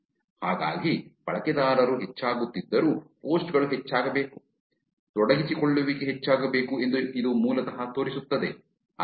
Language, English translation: Kannada, So, this basically shows that even though the users are increasing, which means the posts should be increasing, the engagement should be increasing